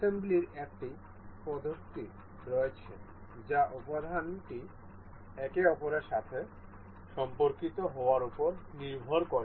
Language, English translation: Bengali, There are multiple such methods of assembly that which depend on the component being related to one another